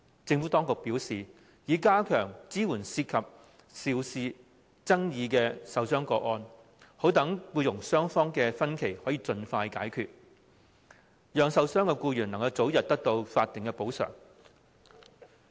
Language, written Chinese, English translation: Cantonese, 政府當局表示，政府已加強對涉及爭議受傷個案的支援，以盡快消除僱傭雙方之間的分歧，讓受傷的僱員能早日獲得法定的補償。, According to the Administration the Government has enhanced support for work injury cases in dispute to resolve differences between employers and employees so that the injured employees will be able to receive statutory compensation early